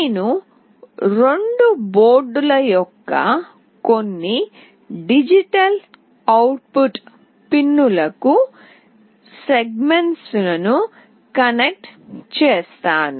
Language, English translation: Telugu, Also I will be connecting the segments to some of the digital output pins of both the boards